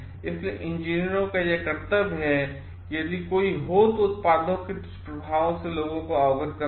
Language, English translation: Hindi, So, it is the duty of the engineers to make people aware of the side effects of the products if there are any